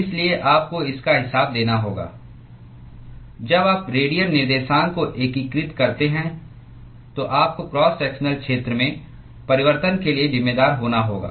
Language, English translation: Hindi, So, you have to account for when you integrate the radial coordinates, you will have to account for change in the cross sectional area